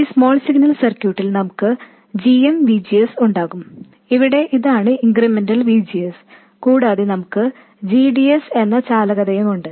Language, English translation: Malayalam, In the small signal circuit we'll have GM VGS where this is the incremental VGS and we have the conductance GDS